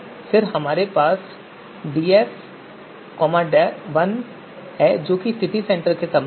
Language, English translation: Hindi, Then we have df 1 which is you know with respect to you know City Centre